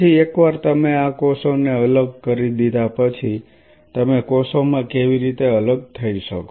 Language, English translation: Gujarati, Next once you have dissociated these cells how you can separate out in the cells